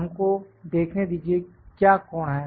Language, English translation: Hindi, Let us see what is the angle